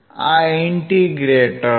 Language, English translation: Gujarati, This is the integrator